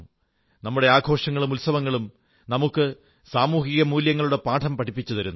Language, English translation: Malayalam, Our festivals, impart to us many social values